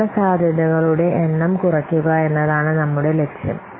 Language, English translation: Malayalam, So our objective is to reduce the number of risks